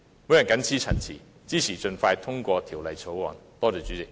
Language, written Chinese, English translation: Cantonese, 我謹此陳辭，支持盡快通過《條例草案》。, With these remarks I support the expeditious passage of the Bill